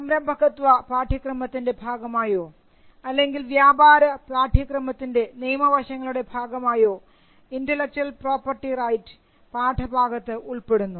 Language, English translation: Malayalam, You find intellectual property rights coming as a part of the innovation and entrepreneurship course or you will find it as a part of the legal aspects of business course